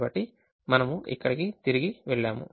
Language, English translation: Telugu, so we go back here